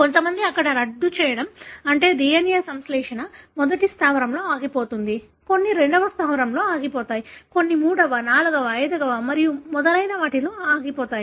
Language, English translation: Telugu, For some, here the termination, that is the DNA synthesis, stops in the first base, some it stops in second base, some it stops in third, fourth, fifth and so on